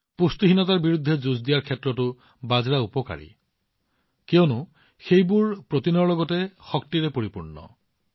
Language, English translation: Assamese, Millets are also very beneficial in fighting malnutrition, since they are packed with energy as well as protein